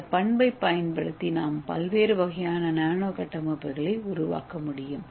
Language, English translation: Tamil, So using this we are going to make different kind of nano structures